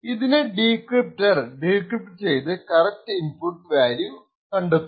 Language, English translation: Malayalam, The decryptor would then be able to decrypt and get the correct values for the inputs